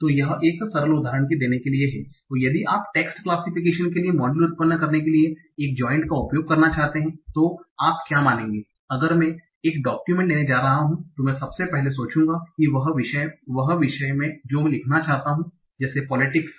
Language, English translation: Hindi, So that is so to give a simple example if you want to use a joint model or generate a model for text classification what you will assume if I'm genetic document I'll first think over what is the topic I want to write say say politics, I think about the class